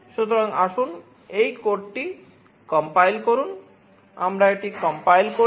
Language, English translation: Bengali, So, let us compile this code